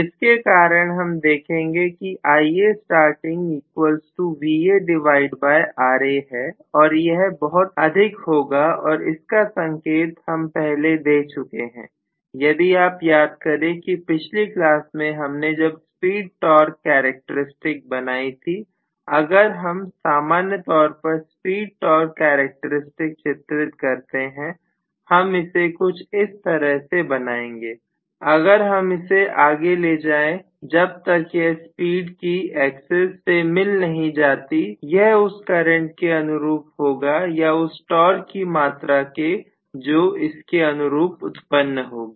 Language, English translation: Hindi, So because of which we are going to get this as Va by Ra and it is going to be extremely large and that is what we indicated if you may recall in the last class by actually the speed torque characteristic what we drew, if we normally draw the speed torque characteristic, we will draw it like this, right, if I extend it until it intersects the speed axis that corresponds to the amount of current it draws or the amount of torque that is developed